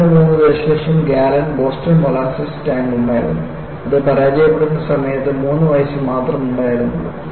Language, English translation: Malayalam, 3 million gallon Boston molasses tank, which was only 3 years old at the time of failure